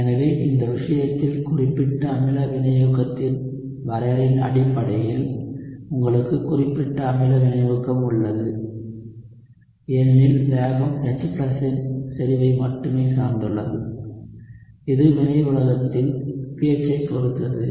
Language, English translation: Tamil, So based on the definition of specific acid catalysis in this case you have specific acid catalysis because the rate only depends on concentration of H+, which in turn depends on the pH of the reaction medium